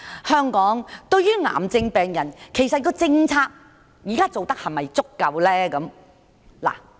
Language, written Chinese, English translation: Cantonese, 香港現時對於癌症病人的政策是否足夠呢？, Is the current policy for cancer patients in Hong Kong sufficient?